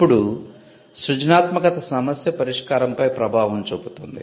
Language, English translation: Telugu, Now, creativity also has a bearing on problem solving